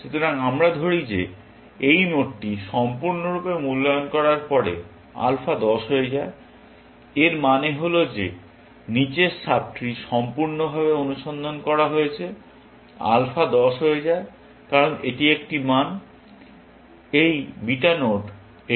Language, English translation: Bengali, So, we say that alpha becomes 10, after this node is completely evaluated; it means that sub tree below that is completely searched; alpha becomes 10, because that is a value, this beta node is giving to this